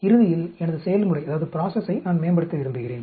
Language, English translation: Tamil, Ultimately I want to optimize my process